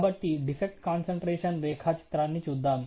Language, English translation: Telugu, So, let us look at the defect concentration diagram